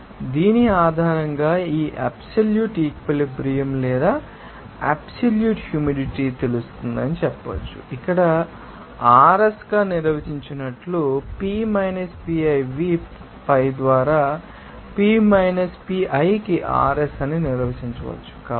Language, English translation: Telugu, So, based on who is you can say that this absolute you know saturation or absolute humidity can be you know defined as here RS into P minus PiV by P minus Pi